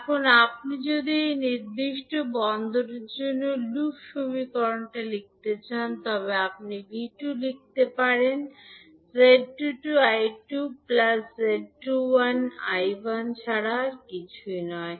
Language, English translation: Bengali, So now, if you want to write the loop equation for this particular port so you can write V2 is nothing but Z22 I2 plus Z21 I1